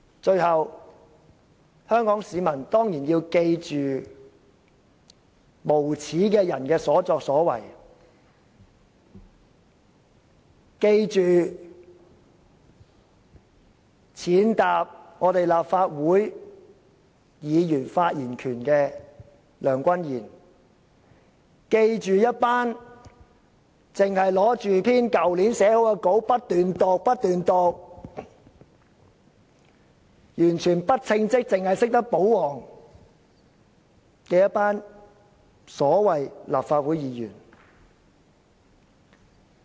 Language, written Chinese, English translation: Cantonese, 最後，香港市民當然要記住無耻的人的所作所為，記住踐踏立法會議員發言權的梁君彥，記住一群只懂拿着去年撰寫的講稿不斷照讀，完全不稱職，只懂保皇的所謂立法會議員。, Finally Hong Kong people should of course remember deeply what shameless people have done remember Andrew LEUNG who has trampled on Members right to speak in the Legislative Council and remember a group of so - called Legislative Council Members who are totally incompetent and who know nothing but to please their masters and read from a speaking note written last year